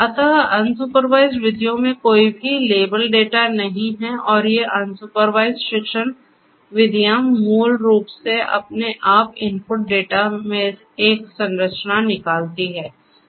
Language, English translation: Hindi, So, there is no you know there is no label data in unsupervised methods and these unsupervised learning methods basically extract a structure of the structure in the input data on their own